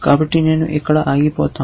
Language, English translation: Telugu, So, I will stop here